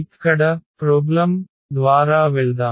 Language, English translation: Telugu, So, let us go through the problem here